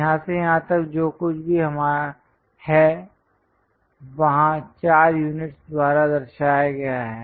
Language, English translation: Hindi, From here to here whatever length is there that's represented by 4 units